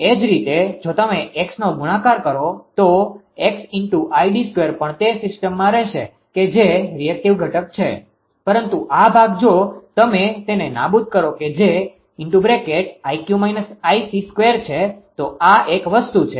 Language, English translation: Gujarati, Similarly if you multiply x, so x into id square also will remain in the system that is the reactive component right, but this part if you make it vanish that x into plus x into i Q minus I C square, so this is one thing